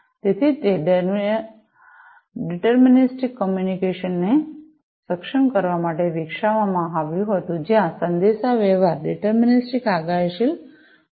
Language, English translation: Gujarati, So, it was developed to enable deterministic communication, where the communication is going to be deterministic, predictive